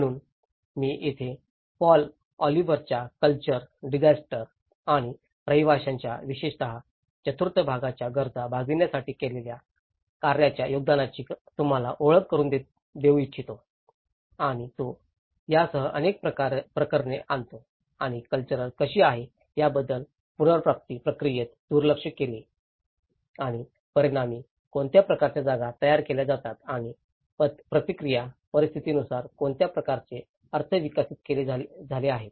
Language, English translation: Marathi, So, this is where, I would like to introduce you to the contribution of Paul Oliver's work on built to meet needs on especially the part IV on cultures, disasters and dwellings and he brings a number of cases along with it and how culture has been overlooked in the recovery process and as a result what kind of spaces are produced and as a response situation what kind of meanings have developed